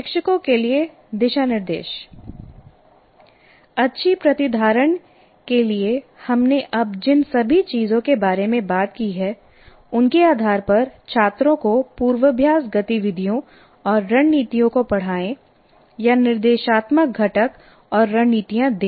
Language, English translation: Hindi, Now guidelines to teachers based on all the things that we have now talked about, for good retention, teach students rehearsal activities and strategies or give the instructional components and strategies